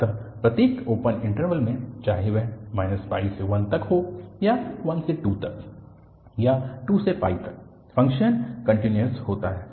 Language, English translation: Hindi, So, in each open interval whether it is from minus pi to 1 or it is 1 to 2 or it is 2 to pi, the function is continuous